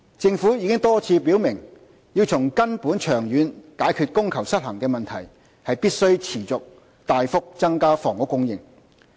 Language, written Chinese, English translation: Cantonese, 政府已多次表明，要從根本長遠解決供求失衡的問題，必須持續大幅增加房屋供應。, The Government has repeatedly indicated the need to increase housing supply progressively and substantially so as to address demand - supply imbalance at source in the long run